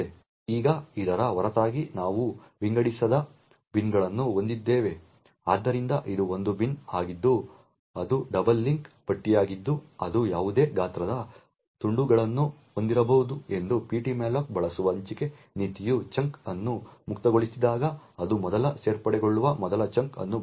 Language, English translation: Kannada, Now besides this we have unsorted bins so this is one bin which is a double link list that it could have a chunks of any size the allocation policy used by ptmalloc is to use the first chunk that fits when a chunk is freed it gets first added here